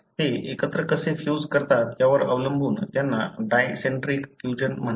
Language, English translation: Marathi, These are called as the dicentric fusions depending on how they fuse together